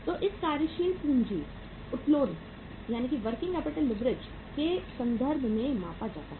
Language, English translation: Hindi, So it is measured in terms of working capital leverage